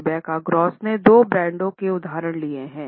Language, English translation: Hindi, Rebecca Gross has taken examples of two brands